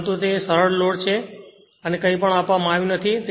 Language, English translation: Gujarati, But if it is a simple loadnothing is given